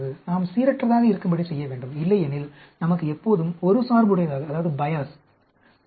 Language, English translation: Tamil, We have to randomize otherwise we will always have a bias